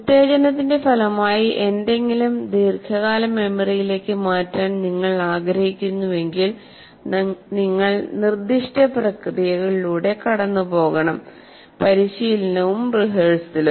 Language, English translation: Malayalam, So if you want to transfer something as a result of stimulus something into the long term memory, you have to go through certain processes as we said practice and rehearsal